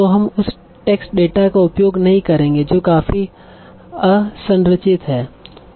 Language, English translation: Hindi, So now this abundance of text data and this is all quite unstructured